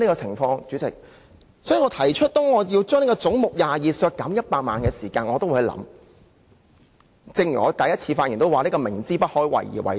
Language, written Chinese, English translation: Cantonese, 所以，我提出削減總目22下的100萬元開支，便正如我在首次發言時說，這是知不可為而為之。, I have therefore moved the amendment that head 22 be reduced by 1 million . And as I said when I first spoke I have done so with the clear knowledge that the amendment will not be passed